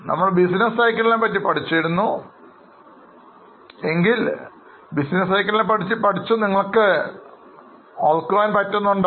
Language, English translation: Malayalam, If you have a business cycle, in business cycle you have revenue minus expense you get profit